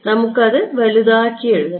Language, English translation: Malayalam, We should write it bigger